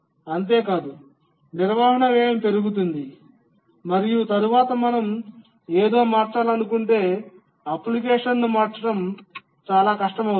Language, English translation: Telugu, And not only that, maintenance cost increases later even to change something, becomes very difficult to change the application